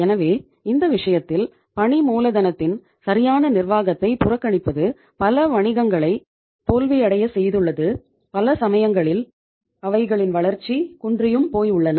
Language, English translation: Tamil, So it means in this case neglecting the proper management of working capital has caused many businesses to fail and in many cases has retarded their growth